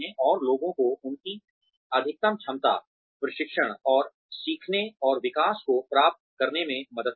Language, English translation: Hindi, And, helping people achieve their, maximum potential, training, and learning, and development